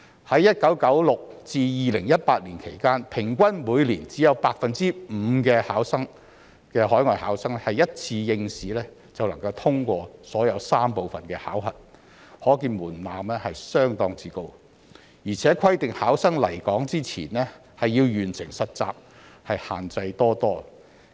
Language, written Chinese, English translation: Cantonese, 在1996年至2018年期間，平均每年只有 5% 的海外考生一次應試便能通過所有3部分的考核，可見門檻相當高，而且規定考生來港前要完成實習，限制多多。, During the period from 1996 to 2018 only 5 % of overseas candidates passed all three parts of the Examination in a single sitting which shows that the threshold is quite high and candidates are required to complete an internship before coming to Hong Kong which is very restrictive